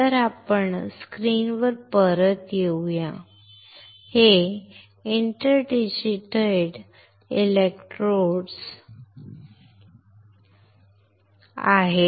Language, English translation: Marathi, So, let us come back to the screen, what we see these are inter digitated electrodes